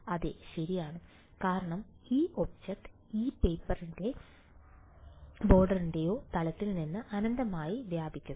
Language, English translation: Malayalam, Yes right, because this object extents infinitely out of the plane of this paper or board